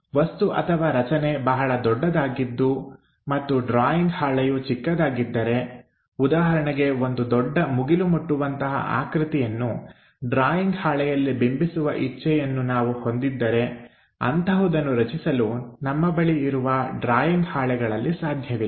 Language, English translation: Kannada, If the object is very large and the drawing sheet is small for example, like I would like to represent a big skyscraper on a drawing sheet it is not possible to construct such kind of big drawing sheets